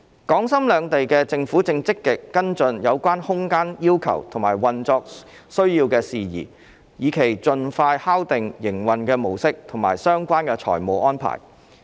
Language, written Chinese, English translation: Cantonese, 港深兩地政府正積極跟進有關空間要求和運作需要等事宜，以期盡快敲定營運的模式以及相關財務安排。, The two governments are actively following up on the space and operational requirements in order to firm up the mode of operation and related financial arrangements as soon as possible